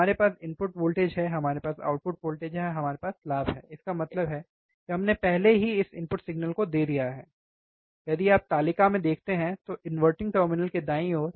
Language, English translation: Hindi, We have input voltage we have output voltage, we have gain; that means, we have given already this input signal, we have given this input signal, if you see in the table, right to the inverting terminal right